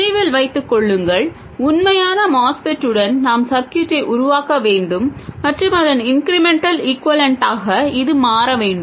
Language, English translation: Tamil, Remember, we have to make the circuit with a real MOSFET and its incremental equivalent should turn out to be this